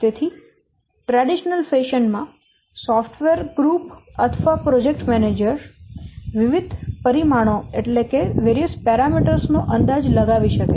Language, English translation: Gujarati, So, in a traditional fashion, the software group or the project manager, they can estimate the various parameters